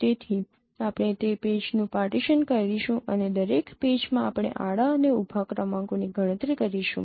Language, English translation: Gujarati, So, you know, we will be partitioning that patch and in and in each patch we will be computing this horizontal and vertical gradients